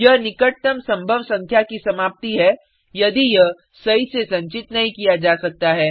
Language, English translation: Hindi, It is rounded off to the closest possible number if it cannot be stored accurately